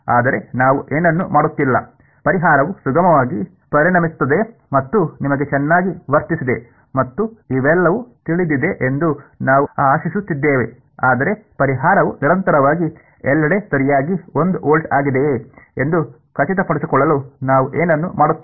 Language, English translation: Kannada, But we are doing nothing we are just hoping that the solution turns out to be smooth and you know well behaved and all of that, but we are not doing anything to ensure that the solution is continuously one volt everywhere right